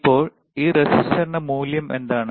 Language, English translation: Malayalam, Now what is the value of this resistor right